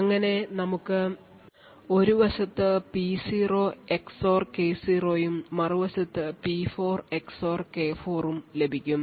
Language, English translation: Malayalam, Now since the attacker knows P0 XOR P4 he thus knows the XOR of K0 XOR K4